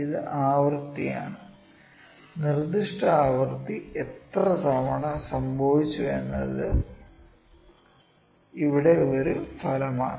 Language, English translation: Malayalam, It is frequency and it is an outcome here how many times the specific frequency, specific event has occur